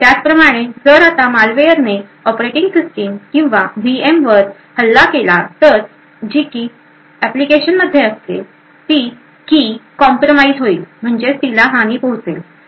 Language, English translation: Marathi, Similarly, if a malware now attacks the operating system or the VM then the key which is present in the application can be compromised